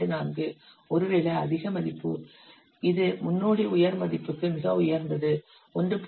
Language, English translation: Tamil, 24 perhaps high value it is precedent high value is see very high is 1